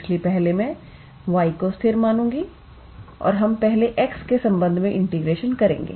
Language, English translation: Hindi, So, first I will treat y as constant and we will integrate with respect to x first